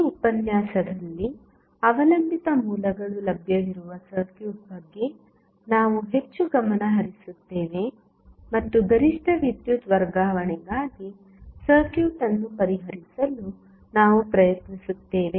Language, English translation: Kannada, In this lecture, we will more focused about the circuit where the dependent sources are available, and we will try to solve the circuit for maximum power transfer